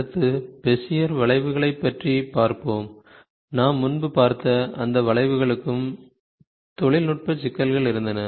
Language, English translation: Tamil, Next, we will see the Bezier Curves, those curves which we saw earlier, also had some had some technical problems